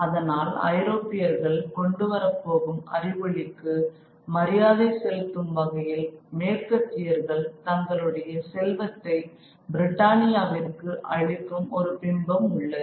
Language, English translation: Tamil, So, the image that is there is an image of, you know, the East offering its riches to Britannia as a tribute to the enlightenment that Europe is going to bring to them